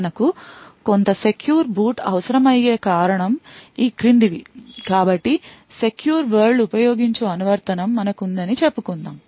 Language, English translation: Telugu, The reason why we require some secure boot is the following, so let us say that we are having an application that uses the secure world